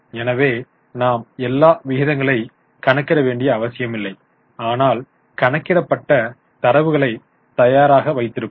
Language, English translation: Tamil, So, we will not necessarily go for all the ratios but keep the sheet ready